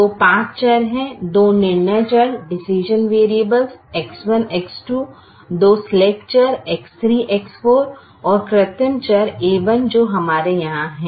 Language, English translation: Hindi, so there are five variables: the two decision variables, x one, x two, the two slack variables, x, three, x four, and the artificial variable, a, one that we have here